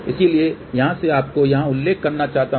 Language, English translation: Hindi, So, here I just want to mention you here